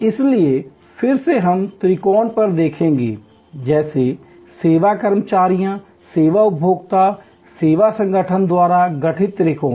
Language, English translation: Hindi, So, again we will look at the triangle, the triangle constituted by service employees, service consumers and service organizations